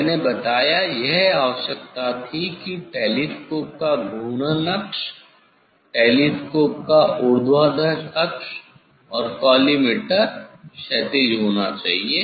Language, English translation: Hindi, I told this requirement was the axis of rotation of telescope should be vertical axis of telescope and of that of the collimator should be horizontal